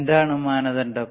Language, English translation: Malayalam, What is criteria